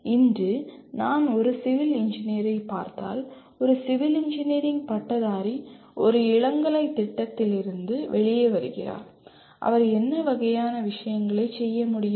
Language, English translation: Tamil, Today if I look at a civil engineer, a civil engineering graduate coming out of a undergraduate program, what kind of things he should be capable of doing